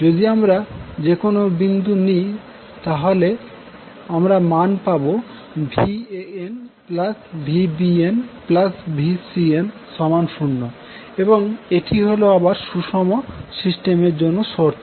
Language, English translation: Bengali, So, you can see at any point you will get the value of Va, Van plus Vbn plus Vcn will always be 0 and this is again the criteria for a balanced system